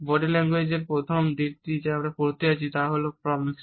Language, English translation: Bengali, The first aspect of body language which we are going to study is Proxemics